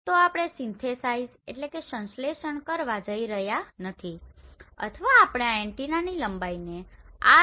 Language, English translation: Gujarati, So we are not going to synthesize or we are not going to mathematically change the length of this antenna in RAR right